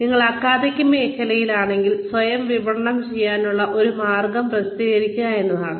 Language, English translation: Malayalam, If you are in academics, one way of marketing yourself is, by publishing